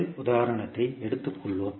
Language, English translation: Tamil, Let us take first example